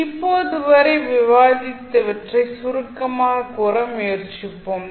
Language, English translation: Tamil, Let us try to summarize what we have discussed till now